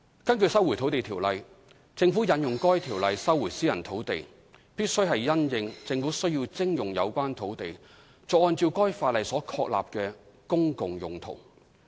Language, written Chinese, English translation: Cantonese, 根據《收回土地條例》，政府引用該條例收回私人土地，必須是因應政府需要徵用有關土地作按照該法例所確立的"公共用途"。, According to the Lands Resumption Ordinance LRO the Government may invoke LRO to resume private land having regard to the Governments needs only for an established public purpose pursuant to LRO